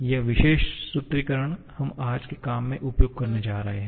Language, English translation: Hindi, This particular formulation we are going to make use of in today's work